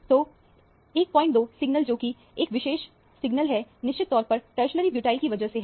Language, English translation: Hindi, 2 signal, which is this particular signal, is definitely due to the tertiary butyl group